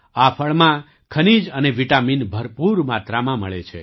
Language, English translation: Gujarati, In this fruit, minerals and vitamins are found in abundance